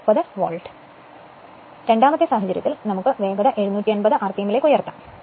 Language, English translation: Malayalam, Now, in the second case, we have to raise the speed to 750 rpm